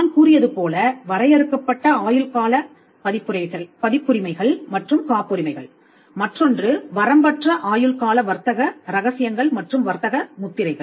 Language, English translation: Tamil, As I said is the limited life IP copyrights and patents the other will be the unlimited life IP trade secrets trademarks